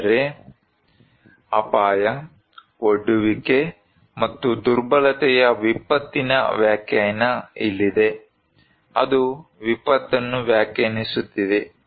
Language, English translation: Kannada, But, here is the definition of disaster that is hazard, exposure and vulnerability; that is defining the disaster